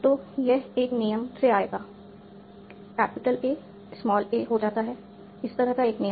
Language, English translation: Hindi, So this will come by a rule, capital A goes to a small A, a rule of this kind